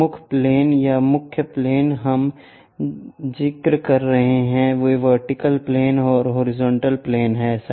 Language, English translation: Hindi, The principle planes or the main planes what we are referring are vertical planes and horizontal planes